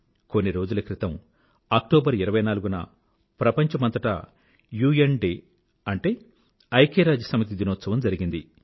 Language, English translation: Telugu, United Nations Day was observed recently all over the world on the 24th of October